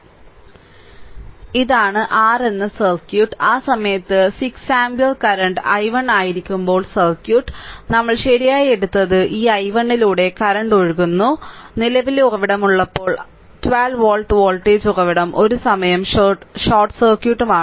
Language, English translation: Malayalam, This is the circuit that is your this is the circuit when 6 ampere at that time current is i 1, current is flowing through this i 1 we have taken right and when current source is there, then voltage source this 12 volt voltage source this current source is there now and 12 volt voltage source is short circuit one at a time